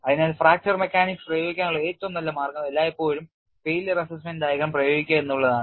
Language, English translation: Malayalam, So, the best way to go about and apply fracture mechanics is always fall up on failure assessment diagram